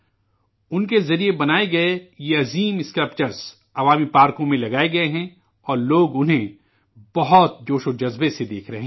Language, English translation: Urdu, These huge sculptures made by him have been installed in public parks and people watch these with great enthusiasm